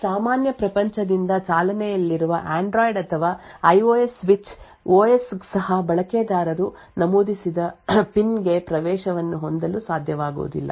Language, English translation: Kannada, Even the Android or IOS switch OS running from your normal world would not be able to have access to the PIN which is entered by the user